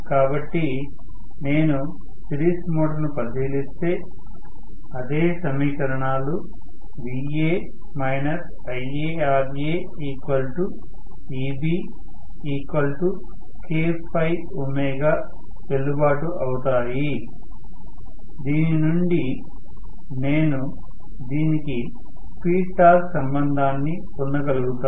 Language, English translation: Telugu, So, if I look at the series motor the same equations will be valid Va minus Ia into Ra equal to K phi omega or Eb from which I should be able to derive the speed torque relationship for this